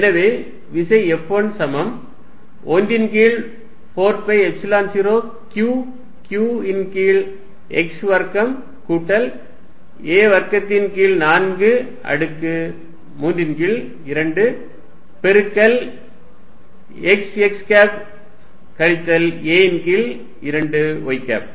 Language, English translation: Tamil, Then force F1 if you got out of 1 over 4 pi epsilon 0 q q over x square plus a square by 4 raise to 3 by 2 x x minus a by 2 y